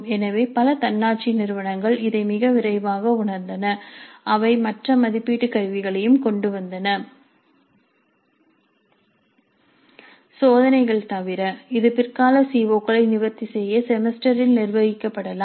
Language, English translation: Tamil, So, several autonomous institutes realize this very early and they brought in other assessment instruments other than tests which could be administered later in the semester to address the later COS